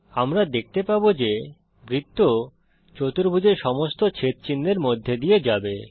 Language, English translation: Bengali, We see that the circle touches all the sides of the triangle